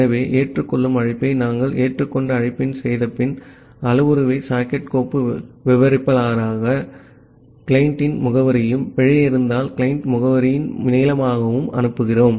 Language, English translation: Tamil, So, after we are making the accept call the accept call, we are passing the parameter as the socket file descriptor, the address of the client and a length of the client address if there is an error